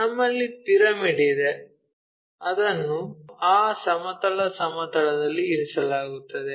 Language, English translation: Kannada, So, we have a pyramid which is laying on that horizontal plane